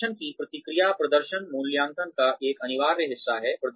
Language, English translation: Hindi, Feedback on performance is an essential part of performance appraisals